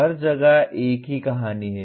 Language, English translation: Hindi, It is the same story everywhere